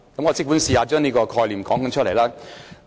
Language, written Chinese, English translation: Cantonese, 我即管嘗試將這概念說出來。, Let me try to spell out this idea